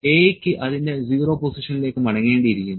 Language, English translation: Malayalam, A has to come back to its 0 position